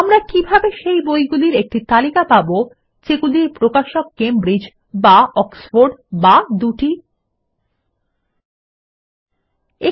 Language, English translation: Bengali, How can we get a list of only those books for which the publisher is Cambridge or Oxford or both